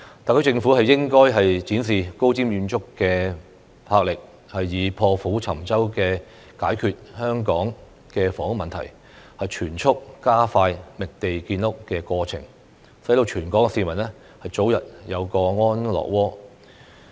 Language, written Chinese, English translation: Cantonese, 特區政府應該展示高瞻遠矚的魄力，以破釜沉舟的決心解決香港的房屋問題，全速加快覓地建屋的過程，讓全港市民早日有個安樂窩。, The SAR Government should be visionary and resolute in solving the housing problem in Hong Kong with an iron - clad determination by expediting the process of identifying land for housing construction so that all Hong Kong people can have a comfortable home as soon as possible